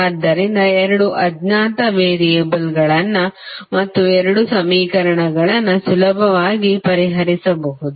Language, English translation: Kannada, So, you have two unknown variables and two equations which can be easily solved